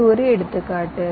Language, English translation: Tamil, this is one example